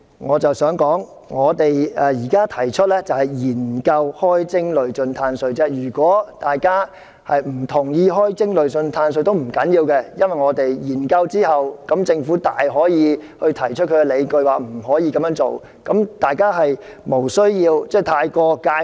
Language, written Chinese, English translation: Cantonese, 我想指出，我現時提出研究開徵累進"碳稅"，如果大家不同意開徵累進"碳稅"也不要緊，因為政府大可以在研究後提出理據說無法這樣做，因此大家無須對這部分過於介懷。, I want to say that I am now proposing to conduct a study on levying a progressive carbon tax and it does not matter if Members do not agree to the levying since the Government can very well say that there are no justifications for doing so after the study . Therefore Members need not feel too concerned about this part of the amendment